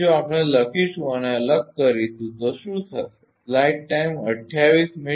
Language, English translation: Gujarati, So, if we write and separately then what will happen